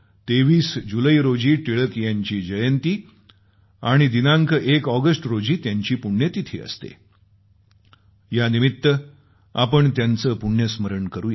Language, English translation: Marathi, We remember and pay our homage to Tilak ji on his birth anniversary on 23rd July and his death anniversary on 1st August